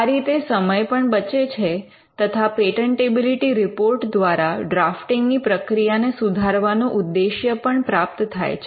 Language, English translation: Gujarati, So, that time is saved and the objective of the patentability report improving the drafting process is also achieved by doing this